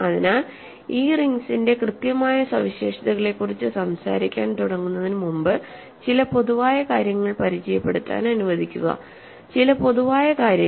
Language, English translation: Malayalam, So, before I start talking about these exact properties of these rings, let me introduce some generalities so, some general stuff